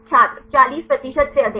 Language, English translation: Hindi, more than 40 percent